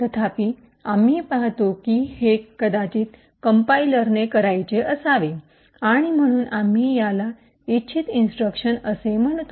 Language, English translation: Marathi, However, we see that this is may be what the compiler had intended to do and therefore we call this as intended instructions